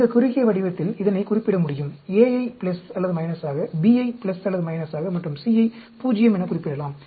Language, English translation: Tamil, It can be represented in this short form, A as plus or minus, B as plus or minus and C in 0